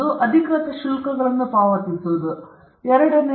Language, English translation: Kannada, pay the official charges, 2